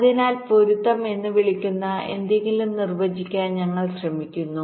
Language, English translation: Malayalam, so we are trying to define something called a matching, matching